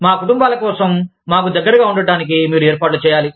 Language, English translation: Telugu, You have to make arrangements, for our families, to be close to us